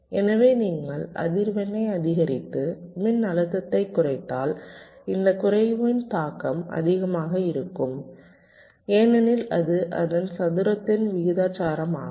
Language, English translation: Tamil, so if you increase the frequency but if you dec and decrease the voltage, the impact of this decrease will be much more because it is proportion to square of that